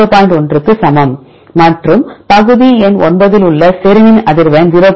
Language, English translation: Tamil, 1 as well as frequency of serine at portion number 9 is equal to 0